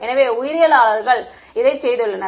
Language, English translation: Tamil, So, biologists have done this